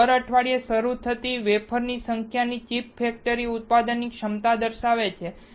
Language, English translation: Gujarati, So, number of wafer starts per week indicates the manufacturing capacity of the chip factory